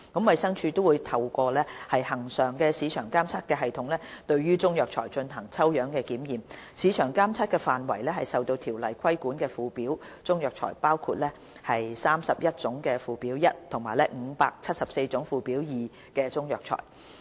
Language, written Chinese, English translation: Cantonese, 衞生署亦會透過恆常市場監測系統對中藥材進行抽樣檢驗，市場監測範圍為受《條例》規管的附表中藥材，包括31種附表1及574種附表2中藥材。, The scope of the system covers Chinese herbal medicines listed in Schedules to CMO including 31 types and 574 types of Chinese herbal medicines listed in Schedule 01 and Schedule 2 respectively